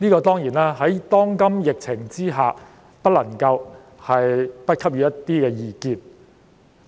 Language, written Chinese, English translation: Cantonese, 當然，在當今疫情下，我們不能不給予一些意見。, Naturally given the current pandemic situation we are bound to say something about it